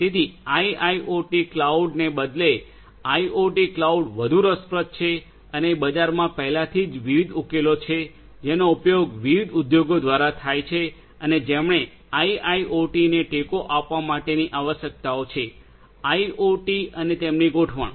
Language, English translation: Gujarati, So, IIoT cloud rather than IoT cloud is more interesting and there are different; different solutions already in the market that could be used by different industries to who have requirements for support of IIoT; IoT and their deployment